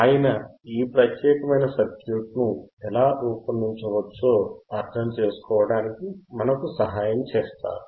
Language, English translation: Telugu, and h He will help us to understand how we can design this particular circuit